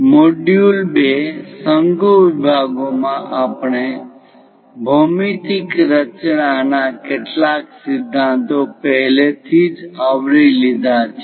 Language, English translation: Gujarati, In module 2, conic sections, we have already covered some of the principles on geometric constructions